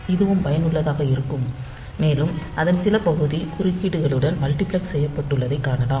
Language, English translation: Tamil, So, this is also useful and we will see that some part of it is multiplexed with interrupts